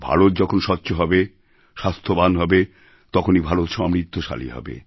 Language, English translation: Bengali, A clean and healthy India will spell a prosperous India also